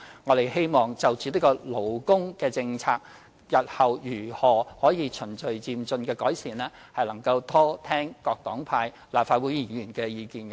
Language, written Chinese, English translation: Cantonese, 在勞工政策方面，我們希望就日後如何循序漸進地改善，多聽各黨派立法會議員的意見。, Insofar as labour policies are concerned we hope to listen more to the views of Members of the Legislative Council from various parties and groupings on how improvement can be made in a gradual and orderly manner in future